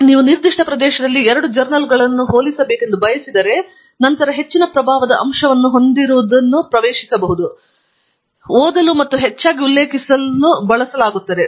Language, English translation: Kannada, So, if you want to compare two journals in a particular area, then the one with the higher impact factor is being accessed, read, and referred more often